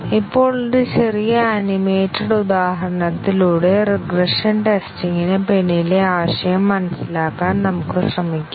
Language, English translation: Malayalam, This is just an example to illustrate what exactly we mean by regression testing